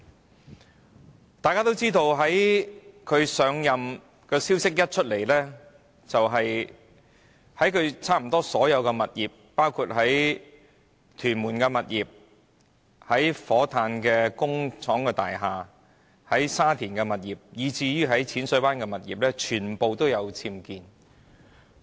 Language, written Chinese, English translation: Cantonese, 一如大家所知，律政司司長將要上任的消息甫傳出，她便被揭發差不多所有物業，包括在屯門的物業、火炭的工廠大廈、沙田的物業，以至淺水灣的物業，全部均有僭建物。, We all know that once there was news about the assumption of office by the Secretary for Justice the existence of UBWs at nearly all her properties was exposed including her properties in Tuen Mun Shatin and Repulse Bay as well as her industrial properties in Fo Tan